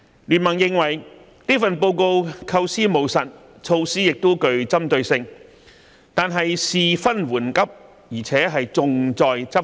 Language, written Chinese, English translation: Cantonese, 經民聯認為這份報告構思務實，措施亦具針對性，但事分緩急，而且重在執行。, BPA is of the view that this Policy Address is pragmatic in its conception with targeted measures . While priority - setting is important policy implementation is equally important